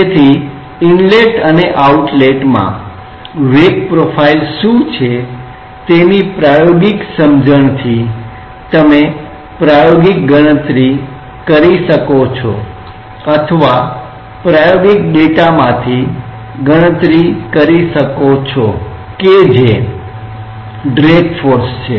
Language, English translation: Gujarati, So, from the experimental understanding of what is the velocity profile at the inlet and the outlet you may be in a position to experimentally calculate or rather to calculate from the experimental data what is the drag force